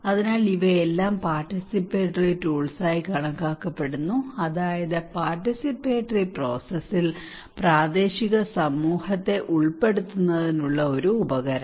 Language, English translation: Malayalam, So these all are considered to be participatory tools, that means a tool to involve local community into the participatory process